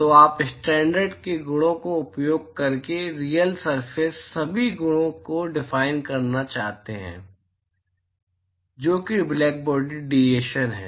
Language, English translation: Hindi, So, you want to define all the properties of a real surface using the properties of the standard, which is the blackbody radiation